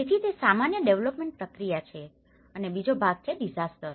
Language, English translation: Gujarati, So that is the usual development process and then the second part is the disaster